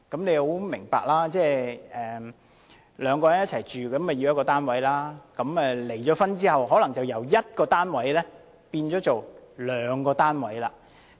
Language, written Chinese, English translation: Cantonese, 兩人本來同住一個單位，但離婚後，可能便由需要一個單位變為兩個單位。, Two people originally lived in one flat but following their divorce two flats instead of one flat are needed